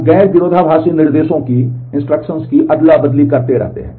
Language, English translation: Hindi, We keep on swapping the non conflicting instructions